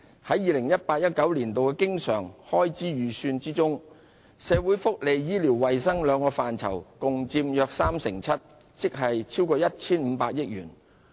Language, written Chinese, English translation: Cantonese, 在 2018-2019 年度的經常開支預算中，社會福利及醫療衞生兩個範疇共佔約 37%， 即超過 1,500 億元。, In 2018 - 2019 the estimated recurrent expenditure on social welfare and health care accounts for about 37 % of government recurrent expenditure exceeding 150 billion in total